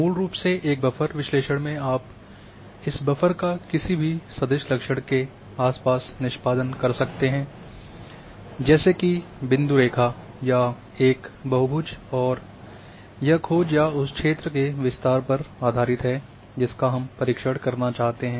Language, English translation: Hindi, Basically in a buffer analysis you can perform this buffer around any vector feature like point line or a polygon and this is based on the searching or you know you did the area that I want to cover this much area, the extend